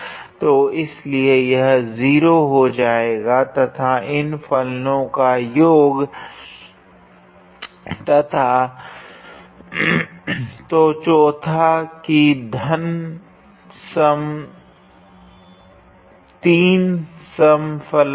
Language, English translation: Hindi, So, therefore, that will be 0 and sum of these two function and so forth that plus 3 is an even function